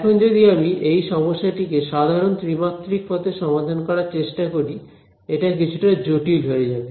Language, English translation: Bengali, Now, if I try to solve this problem in the most general 3d way it is going to be a little bit complicated